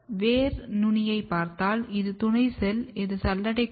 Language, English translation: Tamil, If you look the root tip, this is your companion cell, this is sieve element